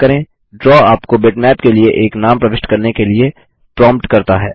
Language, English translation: Hindi, Draw prompts you to enter a name for the Bitmap